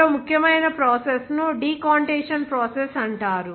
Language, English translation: Telugu, Another important process is called the decantation process